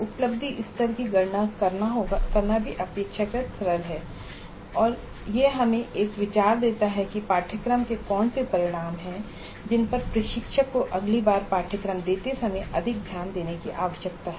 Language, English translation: Hindi, So computing the attainment level is also relatively simple and it does give as an idea as to which are the course outcomes which need greater attention from the instructor the next time the course is delivered